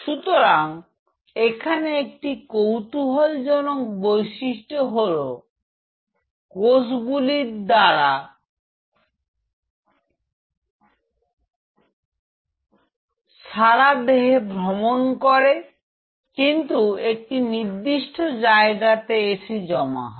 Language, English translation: Bengali, So, one interesting feature about these cells are that, they travel all over the body yet really, they anchor at any point